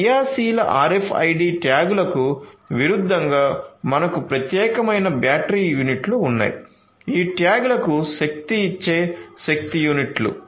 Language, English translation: Telugu, In active RFID tags on the contrary we have separate battery units, power units that can power these tags